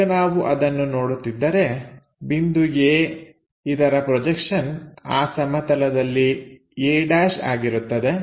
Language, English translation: Kannada, Now, if we are looking at that the projection of point A gives me a’ onto that plane